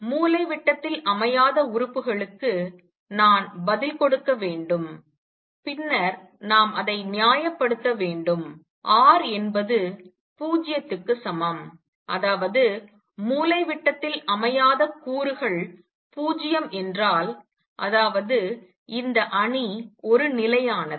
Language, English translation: Tamil, Let me give you the answer the off diagonal elements then we will justify it r equal to 0; that means, if the off diagonal elements are 0; that means, this matrix is a constant